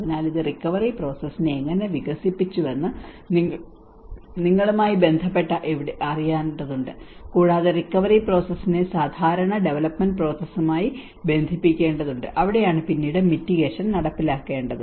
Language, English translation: Malayalam, So which again has to somewhere related to you know how this developed the response process, and the recovery process has to be connected with the usual development process and that is where mitigation has to be enforced later on as well